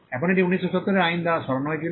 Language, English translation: Bengali, Now, this was removed by the 1970 act